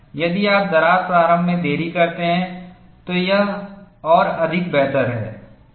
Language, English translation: Hindi, If you delay the crack initiation, it is all the more better